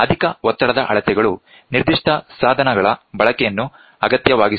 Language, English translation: Kannada, High pressure measurements necessitate the use of specific devices